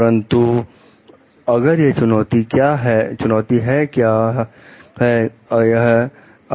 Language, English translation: Hindi, But, if what if it is a challenge